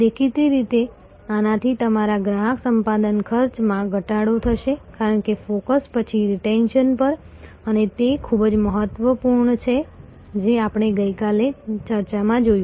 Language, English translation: Gujarati, Obviously, this will reduce your customer acquisition cost, because the focus is, then on retention and that is very important as we saw in the yesterday's discussion